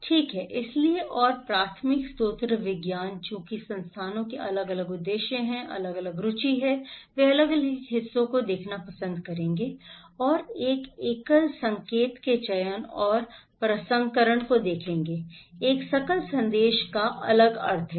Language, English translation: Hindi, Right, so and the primary source the science, since institutions have different purposes, different interest, they will also like to see the different parts and selection and processing of one single signal, one single message have different meaning